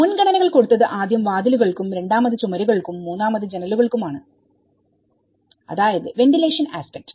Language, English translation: Malayalam, The priorities were first doors, second walls and the third is windows, so the ventilation aspect